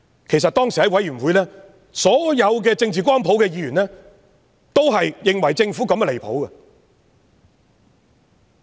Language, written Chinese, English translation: Cantonese, 其實當時在小組委員會上，所有政治光譜的議員都認為政府此舉相當離譜。, In fact in the Subcommittee all Members across the political spectrum were of the view that the Governments move had gone too far at the time